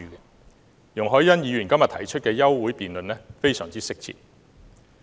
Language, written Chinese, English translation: Cantonese, 因此，容海恩議員在今天提出休會辯論是相當適切的。, Hence it is timely that Ms YUNG Hoi - yan proposed this adjournment motion debate today